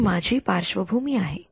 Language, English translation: Marathi, So, this is my background this is my